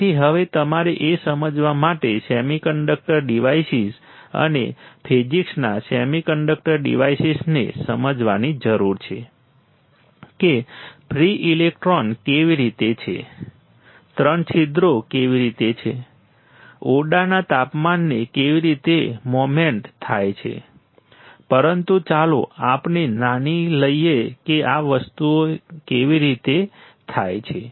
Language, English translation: Gujarati, So, now, you have to understand the semiconductor devices and physics of semiconductor devices to understand that how the free electrons are there, how the three holes are there, in the in the room temperature how the moment occurs, but let us assume that we know how does these things happen